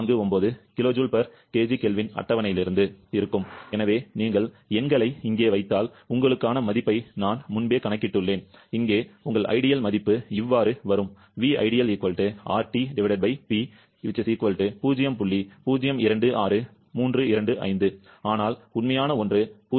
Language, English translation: Tamil, 08149 kilo joule per kg kelvin, so if you put the numbers have, I have pre calculated the value for you, here your ideal value will be coming as 0